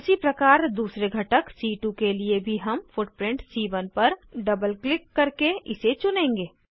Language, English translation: Hindi, Similarly for second component C2 also we will choose footprint C1 by double clicking on it